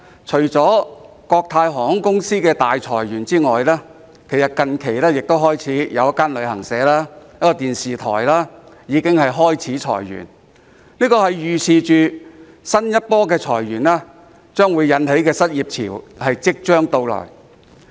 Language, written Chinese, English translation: Cantonese, 除了國泰航空公司大裁員外，最近一間旅行社及一間電視台亦開始裁員，可見新一波裁員引起的失業潮即將到來。, Apart from the massive layoffs of Cathay Pacific Airways Limited a travel agent and a television station have recently cut jobs indicating the imminence of a new wave of unemployment